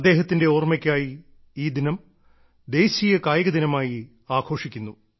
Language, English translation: Malayalam, And our country celebrates it as National Sports Day, in commemoration